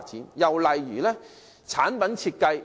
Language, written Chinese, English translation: Cantonese, 另一個例子是產品設計。, Another example is product design